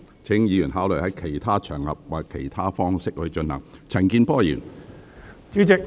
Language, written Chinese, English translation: Cantonese, 請議員考慮在其他場合或以其他方式進行。, Please consider doing so on other occasions or in other ways